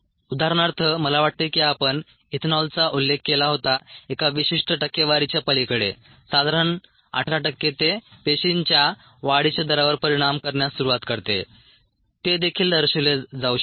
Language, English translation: Marathi, for example, i think we did mentioned ethanol beyond a certain percentage, some eighteen percent of so it's starts effecting the growth rate of cells